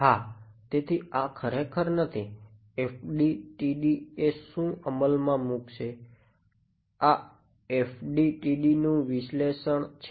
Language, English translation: Gujarati, So, this is actually not what the FDTD is going to implement, this is an analysis of the FDTD yeah